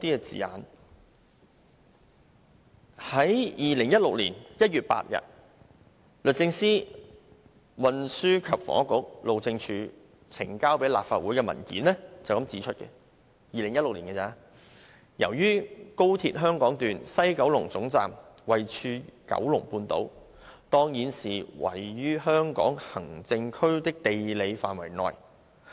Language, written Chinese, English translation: Cantonese, 在2016年1月8日，律政司、運輸及房屋局和路政署呈交立法會的文件指出，由於高鐵香港段西九龍總站位處九龍半島，當然是位於香港行政區的地理範圍內。, In the paper submitted by the Department of Justice the Transport and Housing Bureau and the Highways Department to the Legislative Council on 8 January 2016 it is pointed out that since the West Kowloon Terminus of the Hong Kong Section of XRL is situated in the Kowloon Peninsula it is certainly within the geographical area of SAR